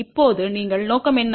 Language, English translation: Tamil, Now, what is our objective